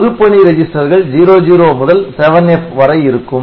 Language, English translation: Tamil, So, this is all purpose register at 00 to 7F ok